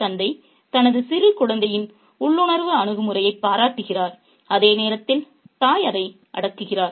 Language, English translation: Tamil, The father admires the instinctive attitude of his little kid while the mother suppresses it